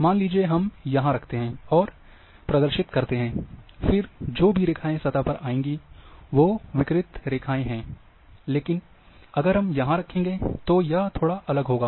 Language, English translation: Hindi, Suppose we put here and expose, then whatever the lines which will come which will come on the surface as a radiating line, but if we keep here, that would be little differently